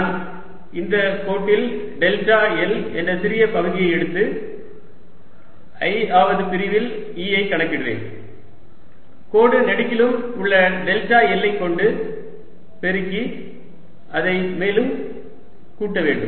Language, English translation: Tamil, i'll move along the line, taking small segments, delta l, and calculate e on i'th segment, multiply by delta l along the lines and add it and make this path closed